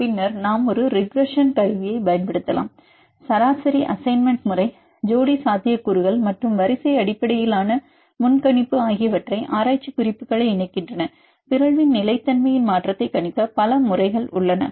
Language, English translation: Tamil, Then we can use a classification regression tool, the average assignment method, pair potentials, as well as sequence based prediction, is corralling the literature several methods are available for predict the stability change of upon mutation